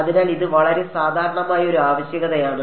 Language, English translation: Malayalam, So, that is a very common requirement yeah